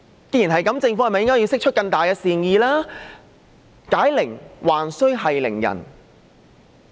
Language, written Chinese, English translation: Cantonese, 正如我在發言開始時所說，解鈴還須繫鈴人。, As I said at the beginning of my speech let him who tied the bell on the tiger take it off